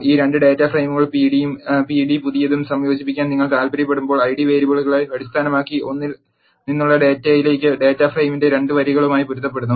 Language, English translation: Malayalam, When you want to combine this 2 data frames pd and pd new a left join joins, matching rows of data frame 2 to the data from 1 based on the Id variables